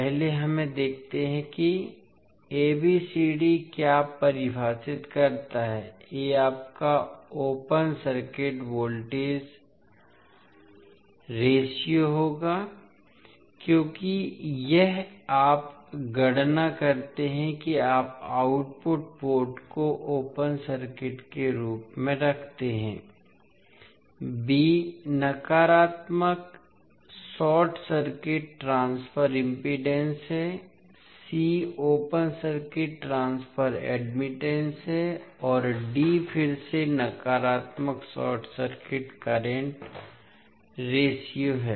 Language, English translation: Hindi, First let us see what ABCD defines; A will be your open circuit voltage ratio because this you calculate when you keep output port as open circuit, B is negative short circuit transfer impedance, C is open circuit transfer admittance and D is again negative short circuit current ratio